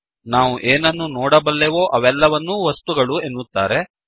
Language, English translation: Kannada, Whatever we can see in this world are all objects